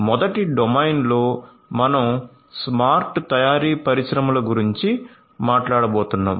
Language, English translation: Telugu, So, in the first domain we are going to talk about smart manufacturing industries